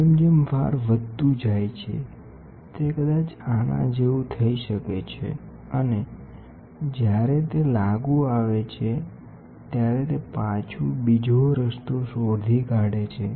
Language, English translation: Gujarati, As the load increases, it might go like this and when it comes back, it traces another route